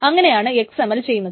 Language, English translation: Malayalam, For example, the XML format